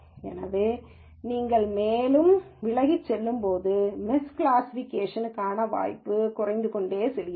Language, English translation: Tamil, However, as you go further away, the chance of miss classification keeps coming down